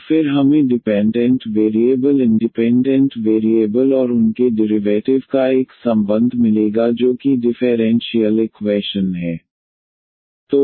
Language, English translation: Hindi, And then we will get a relation of the dependent variables independent variables and their derivatives which is the differential equation